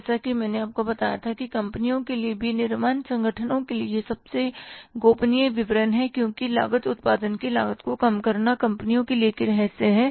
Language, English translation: Hindi, As I told you that this is the most confidential statement for the companies for the manufacturing organizations because cost reducing the cost of production is the secret for the companies